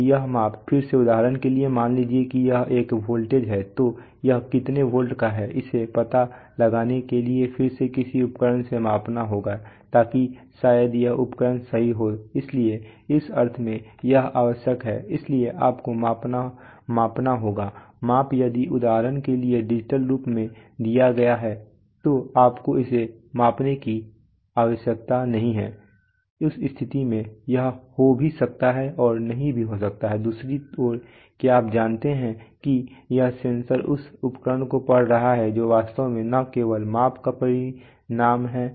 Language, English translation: Hindi, Now this measurement again for example suppose it is a voltage then how many volts it is that again will have to be measured by some instrument, so that maybe this instrument right so in that sense this is required, so you have to you have to measure the measurement if the measurement is for example given in a digital form then you do not need to measure it then you can so this may be there or not there, on the other hand there are you know this sensor this instrument reading or the measurement is actually a result of not only the measurement